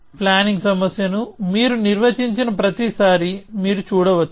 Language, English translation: Telugu, As you can see every time you define the planning problem